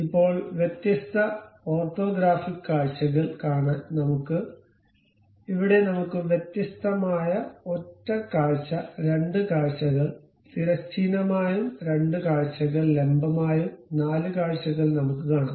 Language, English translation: Malayalam, Now, if we are interested about see different orthographic orthographic views, here we have different things something like single view, two view horizontal, two view vertical, and four view